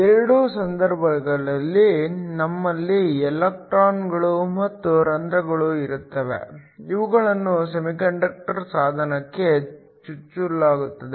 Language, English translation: Kannada, In both cases, we have electrons and holes that are injected into a semiconductor device